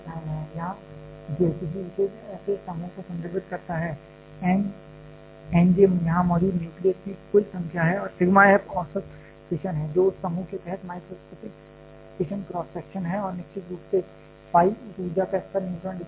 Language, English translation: Hindi, Here, j refer to any particular such group, n j is the total number of nuclei present here and sigma f j is the average fission is the microscopic fission cross section under that group and phi of course, is the neutron distribution of that energy level